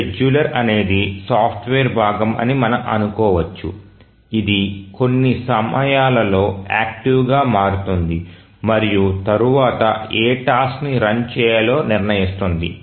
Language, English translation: Telugu, We can think of that a scheduler is a software component which becomes active at certain points of time and then decides which has to run next